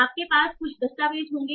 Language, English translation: Hindi, You will have some documents